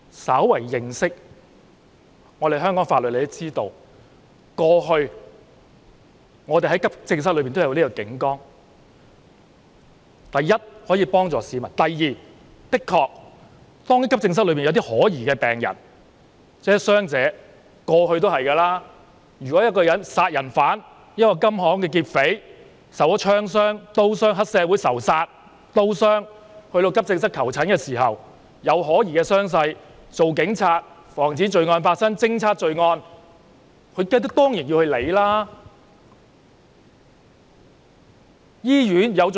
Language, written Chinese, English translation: Cantonese, 稍為認識香港法律的人也知道，過去急症室一直設有警崗，第一，可以幫助市民；第二，一如以往，當急症室裏有可疑的病人或傷者，例如殺人犯、受槍傷或刀傷的金行劫匪、黑社會仇殺受刀傷，到急症室求診，傷勢有可疑，身為警察，要防止罪案、偵測罪案，當然要加以理會。, Anyone who has some knowledge of Hong Kong laws would know that police posts have long been put in place in accident and emergency departments AEDs . Firstly it can help members of the public . Secondly as in the past cases when suspicious patients or injured persons such as murderers jewellery shop robbers with gunshot or knife wounds or triad members with knife wounds from gang fights go to AEDs to seek medical consultation given the suspicious injuries it is certainly the business of police officers whose duty is to prevent and detect crimes